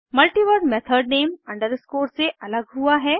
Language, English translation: Hindi, A multiword method name is separated with an underscore